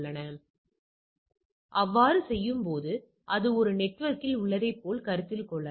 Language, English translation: Tamil, So, what it happening that in doing so, it as if things that it is in the same network